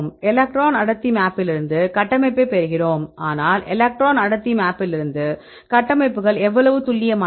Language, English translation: Tamil, From the electron density map we derive the structure, but how accurate the structures from the electron density map